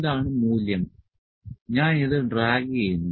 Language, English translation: Malayalam, So, this is the value and I am dragging this